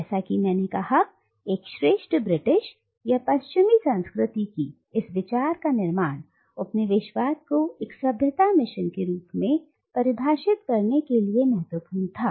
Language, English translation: Hindi, As, I have said, the construction of this idea of a superior Britishness or Western culture was crucial in defining colonialism as a civilising mission